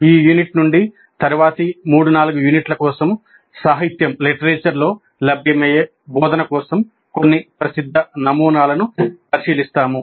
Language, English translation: Telugu, From this unit for the next three, four units, we look at some of the popular models for instruction which have been available in the literature